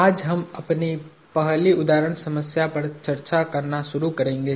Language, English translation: Hindi, So, we will today start discussing our first example problem